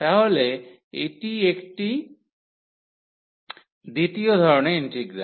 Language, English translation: Bengali, So, this is another for the second kind of integral